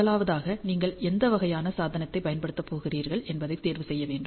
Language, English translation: Tamil, First one is you should choose the Device which kind of device you are going to use